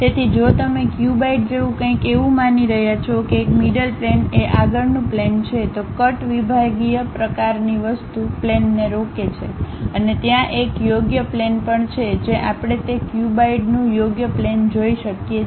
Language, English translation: Gujarati, So, if you are assuming something like a cuboid one of the mid plane is front plane, the cut sectional kind of thing is stop plane and there is a right plane also we can see right plane of that cuboid